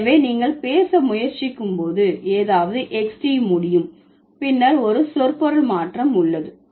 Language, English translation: Tamil, So, when you are trying to talk something is able to be Xed, then there is a semantic change